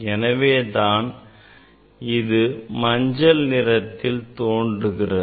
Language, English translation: Tamil, that is the yellow colour